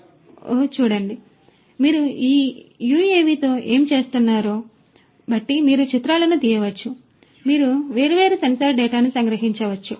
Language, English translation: Telugu, And depending on what you are doing with this UAV you can capture images, you can capture different sensor data